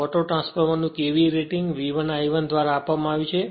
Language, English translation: Gujarati, KVA rating of the auto transformer is given by V 1 I 1